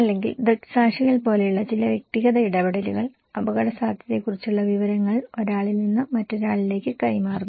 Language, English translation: Malayalam, Or maybe, some personal interactions like eyewitness people generally do, they pass the informations about risk from one person to another